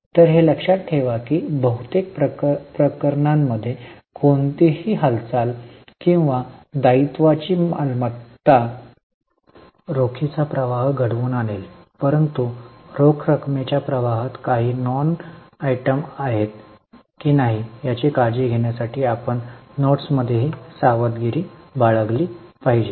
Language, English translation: Marathi, So, keep in mind that in most cases, any moment or asset of liability will lead to cash flow, but we also have to be careful in the notes to see whether there are any non cash flow items, then they should not be considered in the cash flow